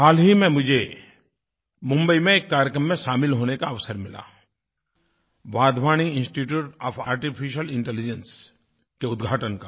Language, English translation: Hindi, Recently I got an opportunity to take part in a programme in Mumbai the inauguration of the Wadhwani Institute for Artificial Intelligence